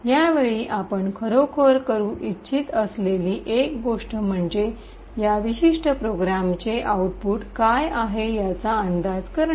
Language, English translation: Marathi, One thing you would actually like to do at this time is to guess what the output of this particular program is